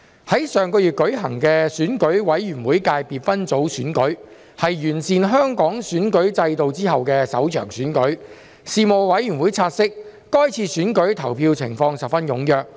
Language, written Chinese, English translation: Cantonese, 在上月舉行的選舉委員會界別分組選舉，是完善香港選舉制度後的首場選舉，事務委員會察悉，該次選舉投票情況十分踴躍。, The Election Committee Subsector Election held last month was the first election held after the improvement of the electoral system in Hong Kong and the Panel noted that the voters voted very enthusiastically